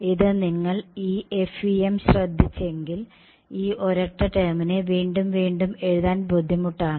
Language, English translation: Malayalam, This if you notice this FEM this whole term over here becomes very tedious to write again and again